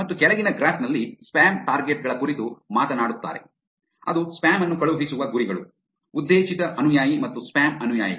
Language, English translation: Kannada, And over the graph at the bottom talks about spam targets which is the targets where spam is going to be sent, targeted follower and spam follower